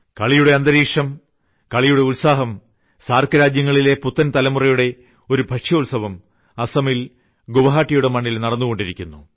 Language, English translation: Malayalam, A grand celebration from the new generation of SAARC countries is happening on the land of Guwahati in Assam